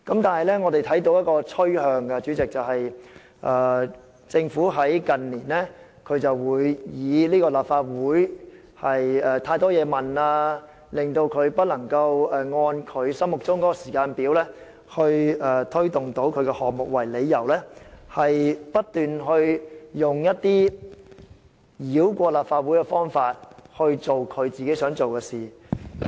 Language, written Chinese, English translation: Cantonese, 但是，我們看到一種趨勢，政府近年常以立法會提出太多質詢，令政府無法按心目中的時間表推行政策項目為由，不斷繞過立法會以落實自己想做的事。, However there is a trend in recent years that the Government has incessantly bypassed the Legislative Council to implement measures it preferred on the pretext that the Legislative Council raises too many questions resulting in the Government being unable to implement various policies according to its intended schedule . Carrie LAM the incumbent Chief Executive is an expert of this tactic